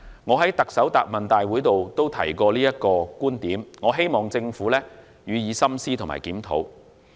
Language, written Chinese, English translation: Cantonese, 我在行政長官答問會上也曾提出這個觀點，希望政府予以深思和檢討。, I have put forth this view in the Chief Executive Question and Answer Session and hope the Government will ponder and review the situation